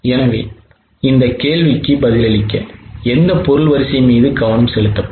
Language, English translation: Tamil, So, to respond to this question, which product line will be focused